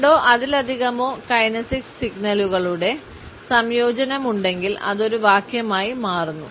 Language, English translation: Malayalam, If there is a combination of two or more kinesics signals it becomes a sentence